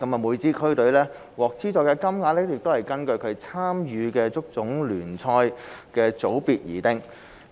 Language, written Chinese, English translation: Cantonese, 每支區隊獲資助的金額是根據其參與的足總聯賽組別而定。, The amount of funding for each team is determined by the division of HKFA league in which it is participating